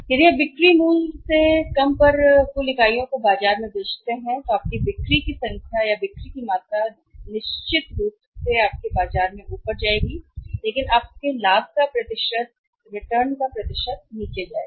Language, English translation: Hindi, If you lower than the selling price your number of units your selling in the market of the total volume of the sales your making the market will certainly go up but your percentage of the profit percentage of the return will go down